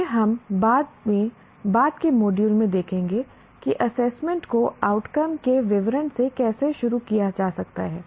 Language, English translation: Hindi, This we will see later in the later module how assessment can be designed starting from statement of outcomes